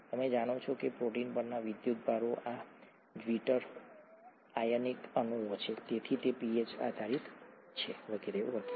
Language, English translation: Gujarati, You know that the charges on the protein, this is a zwitter ionic molecule, therefore it is pH dependent and so on